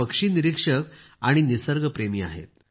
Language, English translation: Marathi, He is a passionate bird watcher and a nature lover